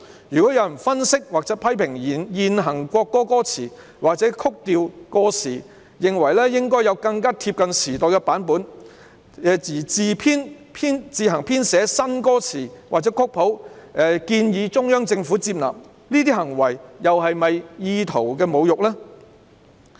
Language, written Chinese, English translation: Cantonese, 若有人分析或批評現行國歌歌詞，或指曲調過時，認為應該要有更貼近時代的版本而自行編寫新歌詞或曲譜，建議中央政府接納，這些行為是否"意圖侮辱"呢？, Suppose someone analyses or comments on the current lyrics of the national anthem or criticizes the score for being outdated; considering that there should be a version which catches up with the times he rewrites the lyrics or composes the score anew and proposes them to the Central Government . Are these behaviours with intent to insult the national anthem?